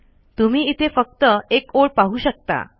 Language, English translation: Marathi, You can see only one line here